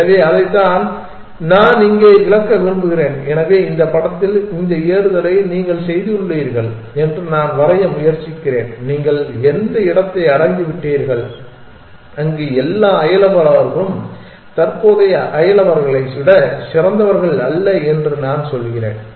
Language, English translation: Tamil, So, that is what I would just about to illustrate here, so this is the figure that I am trying to draw that you have done this climbing and you have reached the place where I all the neighbors are not better than the current neighbor